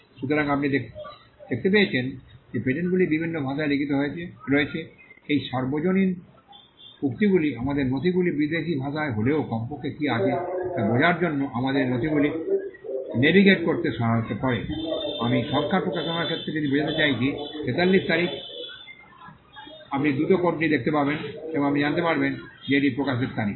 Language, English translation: Bengali, So, you find that because there are patents are written in different languages, these universal quotes helps us to navigate these documents even if it is in a foreign language for us at least to understand what is there, I mean if with regard to numbers publication date 43, you quickly see the code and you will know that that is the publication date